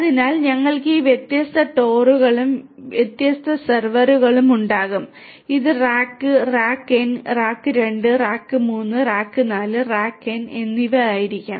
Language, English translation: Malayalam, So, we will have these different TORs and with different servers and this will be rack, rack n right, rack 2, rack 3, rack 4 and rack n